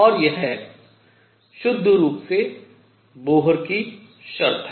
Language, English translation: Hindi, This is the Bohr quantization condition